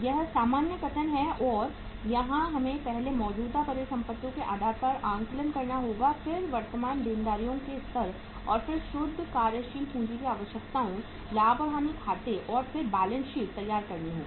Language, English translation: Hindi, This is the normal statement and here we will have to assess first the level of current assets then the level of current liabilities and then the net working capital, prepare the profit and loss account and then the balance sheet